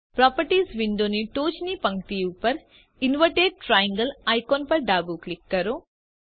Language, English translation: Gujarati, Left click the next icon at the top row of the Properties window